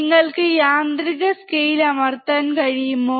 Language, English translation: Malayalam, Can you press the auto scale